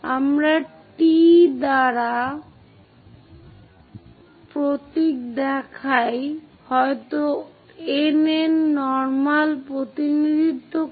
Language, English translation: Bengali, We show symbols by T T maybe N N to just represent normals